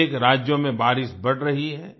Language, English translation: Hindi, Rain is increasing in many states